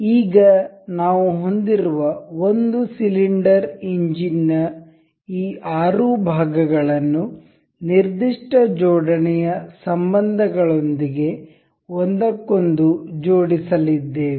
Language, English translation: Kannada, Now, we have these 6 parts of the single cylinder engine to be assembled into one another with particular assembly relations